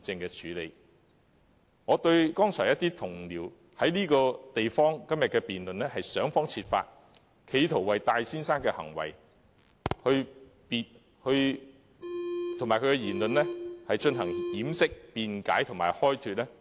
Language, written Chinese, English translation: Cantonese, 剛才有同事在今天的議案辯論中，想方設法為戴先生的行為和言論作出掩飾、辯解和開脫，我對此表示極度遺憾。, During the motion debate today some Honourable colleagues tried all means to belie defend and absolve Mr TAI of his words and deeds . I express my deepest regrets about this